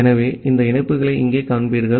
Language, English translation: Tamil, So, here you will see that this connections